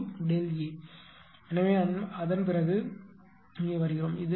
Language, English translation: Tamil, So, after that this is going here and this is going here right